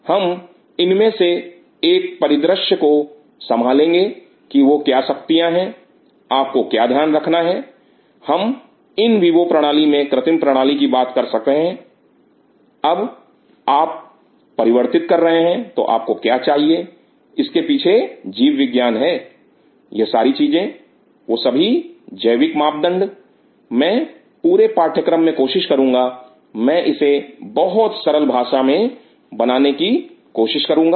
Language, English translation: Hindi, We will take over from one of these pictures that what all the forces, what all you have to take into account we are in talk about synthetic systems in vivo systems, when you are translating what all you needed there is a biology behind this whole thing what are those biological parameters, and I will try throughout the course I will try to make it very generic